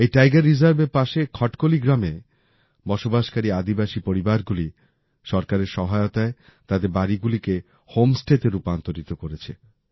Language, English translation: Bengali, Tribal families living in Khatkali village near this Tiger Reserve have converted their houses into home stays with the help of the government